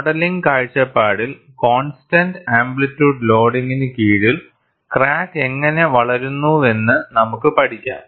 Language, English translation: Malayalam, From modeling point of view, we may study, under constant amplitude loading, how the crack grows